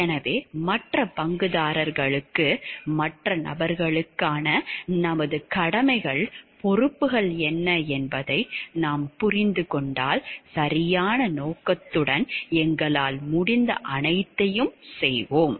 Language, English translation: Tamil, So, if we understand like what are our duties, responsibilities to the other person to the other stakeholders and we try our best with all proper intentions